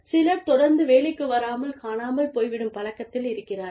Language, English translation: Tamil, Some people are constantly in the habit of, missing work